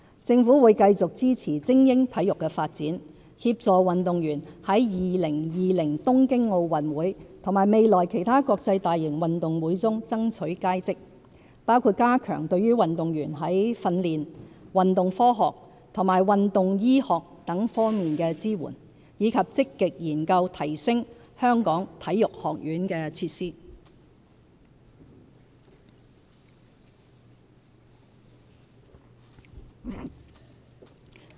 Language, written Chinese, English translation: Cantonese, 政府會繼續支持精英體育的發展，協助運動員在2020年東京奧運會和未來其他國際大型運動會中爭取佳績，包括加強對運動員在訓練、運動科學和運動醫學等多方面的支援，以及積極研究提升香港體育學院的設施。, By providing athletes with greater support in training sports science sports medicine etc and by proactively looking into ways to enhance facilities in the Hong Kong Sports Institute the Government will continue to support the development of elite sports and assist our athletes in scaling new heights in the Tokyo 2020 Olympics and in other major international sports competitions in the future